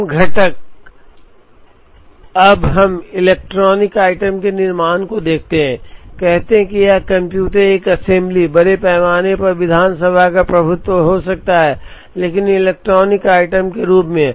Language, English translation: Hindi, Common components, now suppose we look at manufacture of an electronic item, say it could be a computer, an assembly, largely assembly dominated, but manufacture of as electronic item